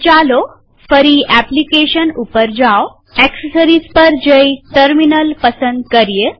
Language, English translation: Gujarati, So lets move back to Applications gtAccessories and then terminal